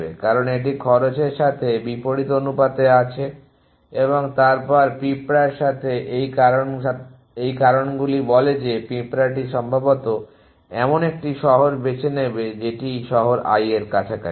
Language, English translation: Bengali, Because this is inversely proportion to cost and then the ants so this factors says that the ant is likely to choose a city which is close to the city i at which it is